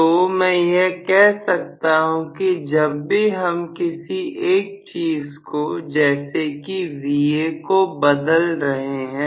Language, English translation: Hindi, So, I would say whenever you are varying one of the values may be Va you are changing